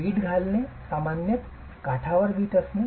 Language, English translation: Marathi, The brick laying is typically brick on edge